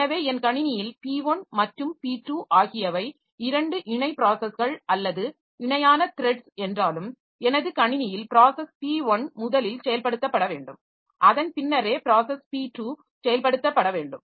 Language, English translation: Tamil, So, it is required that in my system, though p1 and p2 they are two parallel processes or parallel threads, so, so p1 should be executed first and then only p2 should be executed